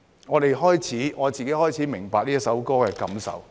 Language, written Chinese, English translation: Cantonese, 我自己開始明白這首歌的意義。, I myself began to understand the meaning of this song